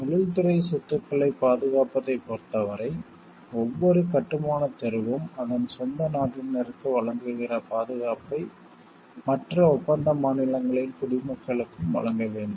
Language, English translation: Tamil, The convention provides that as regards the protection of industrial property, each constructing street must grant the same protection to nationals of other contracting states, that it grants to it is own nationals